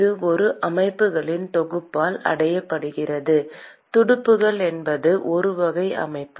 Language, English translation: Tamil, And that is achieved by a set of systems one class of system called the fins